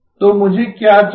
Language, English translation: Hindi, So what do I need